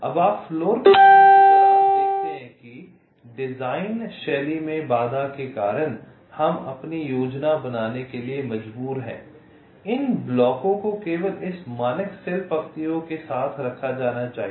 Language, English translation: Hindi, you see, during floorplanning, because of the constraint in the design style, we are forced to plan our these blocks to be placed only along this standard cell rows